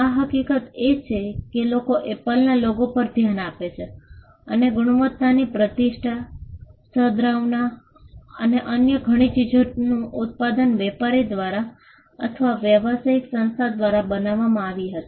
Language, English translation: Gujarati, The fact that people look at the Apple logo and attribute quality reputation, goodwill and many other things to the product was created by the trader or by the business entity itself